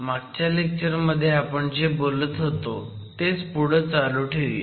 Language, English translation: Marathi, Let me continue what we were talking about in the last class